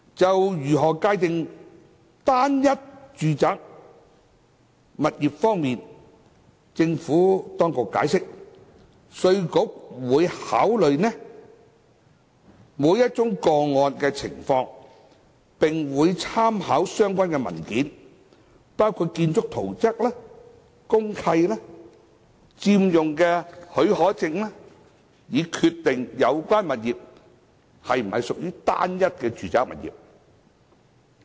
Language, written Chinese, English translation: Cantonese, 就如何界定"單一"住宅物業方面，政府當局解釋，稅務局會考慮每宗個案的情況，並會參考相關文件，包括建築圖則、公契、佔用許可證等，以決定有關物業是否屬於"單一"住宅物業。, On how to define a single residential property as explained by the Administration IRD will consider the circumstances of individual cases and take into account relevant documents including building plan deed of mutual covenant occupation permit etc when deciding whether properties concerned constitute a single residential property